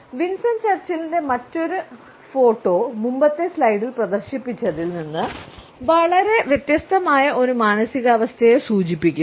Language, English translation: Malayalam, Other photograph of Winston Churchill also suggests a mood which is very different from the one displayed in the previous slide